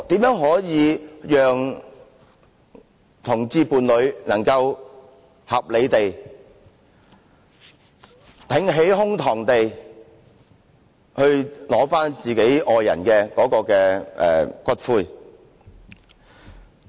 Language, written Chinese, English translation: Cantonese, 如何讓同性戀伴侶能夠合理地、挺起胸膛地取回其愛人的骨灰？, How can we let homosexual partners rightfully claim the ashes of their beloved ones with dignity?